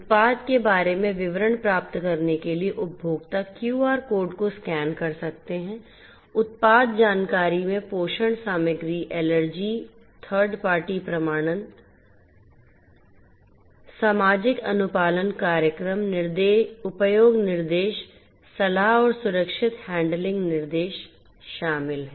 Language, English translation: Hindi, Consumers can scan the QR code to get details about the product; the product information includes nutrition, ingredients, allergens, third party certification, social compliance programs, usage instructions, advisories and also safe handling instruction